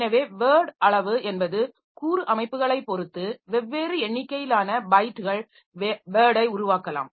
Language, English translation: Tamil, So, so word size is variable like in different computer systems different number of bytes can make up word